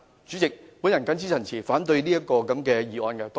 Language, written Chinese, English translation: Cantonese, 主席，我謹此陳辭，反對這項議案。, With these remarks President I oppose this motion